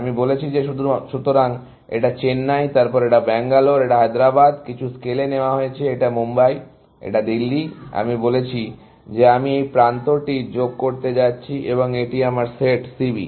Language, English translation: Bengali, I have said that; so, this is Chennai, then, this is Bangalore; this is Hyderabad; on some scale, this is Mumbai; this is Delhi; I have said I am going to add this edge, and that is my set C B